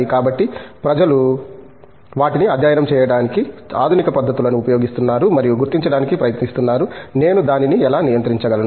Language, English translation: Telugu, So, people are using modern techniques to study them and trying to identify, how do I control it